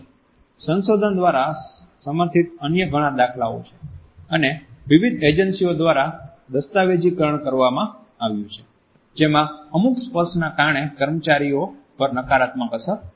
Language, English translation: Gujarati, At the same time there have been many other instances supported by research and documented by various agencies in which touch has led to a negative impact on the employees